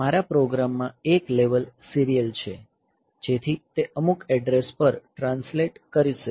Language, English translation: Gujarati, So, in my program serial is a level, so that will translate to some address